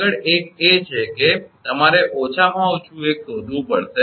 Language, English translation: Gujarati, Next, one is that you have to find out the minimum one